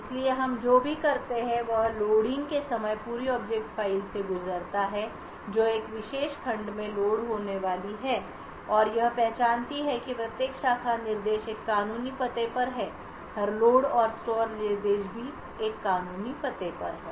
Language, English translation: Hindi, So what we do is at the time of loading pass through the entire object file which is going to be loaded in a particular segment so and identify that every branch instruction is to a legal address, every load and store instruction is also to a legal address